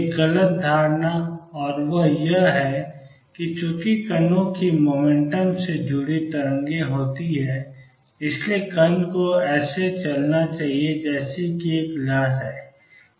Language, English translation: Hindi, Misconception one, and that is that since there are waves associated with particles motion the particle must be moving as has a wave itself